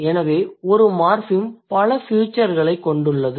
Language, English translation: Tamil, So, one morphem has accumulated many features